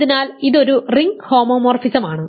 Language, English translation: Malayalam, So, this a ring homomorphism